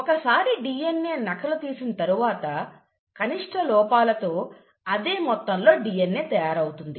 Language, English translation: Telugu, So once the DNA has been duplicated, how is it that the same amount of DNA with minimal errors